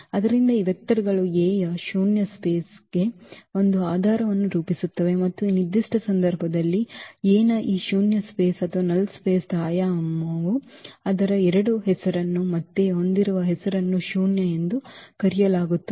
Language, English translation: Kannada, So, these vectors form a basis for the null space of A and the dimension of this null space of A in this particular case its 2 which is again has a name is called nullity